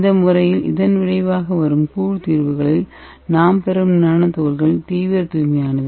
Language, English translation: Tamil, So in this method the resulting nanoparticles which we are obtaining in the colloidal solutions are ultra pure